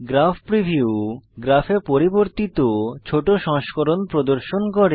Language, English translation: Bengali, Graph preview displays, a scaled version of the modifications in the graph